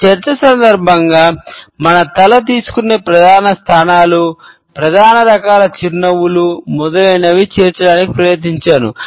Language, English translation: Telugu, During my discussion, I have tried to incorporate the major positions, which our head takes, the major types of smiles, etcetera